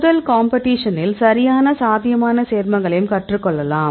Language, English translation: Tamil, Because we also in the first competition, we also learned the proper potential compounds